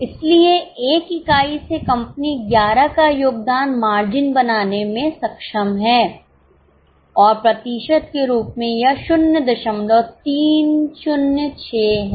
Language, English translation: Hindi, So, from one unit of A company is able to make contribution margin of 11 and as a percentage it is 0